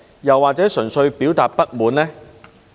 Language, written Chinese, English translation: Cantonese, 又或純粹表達不滿呢？, Or was it an act simply to express discontent?